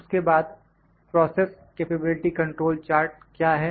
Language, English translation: Hindi, Then I will discuss, what is process capability control charts